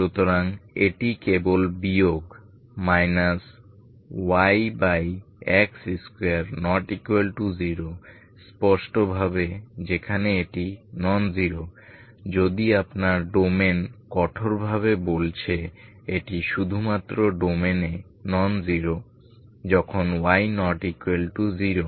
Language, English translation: Bengali, So this is simply minus Y by X square which is non zero clearly where it is non zero, if your domain is strictly speaking this is non zero only in the domain when Y is not equal to zero